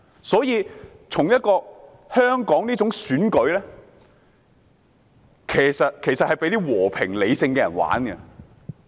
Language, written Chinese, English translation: Cantonese, 所以，香港這種選舉形式是讓那些和平理性的人參與的。, Therefore this form of election in Hong Kong is apt for peaceful and rational people